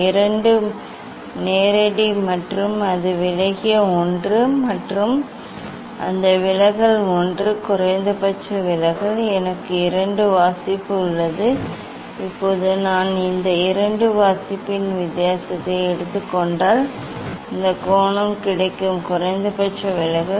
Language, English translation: Tamil, this is the direct and that was the deviated one and that deviation one it was the minimum deviation, I have two reading, now if I take difference of this 2 reading then I will get this angle of minimum deviation